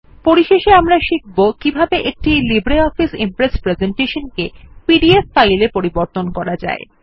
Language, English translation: Bengali, Finally we will now learn how to export a LibreOffice Impress presentation as a PDF file